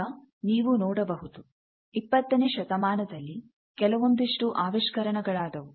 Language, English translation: Kannada, Now, you see there are some inventions which happened in the twentieth century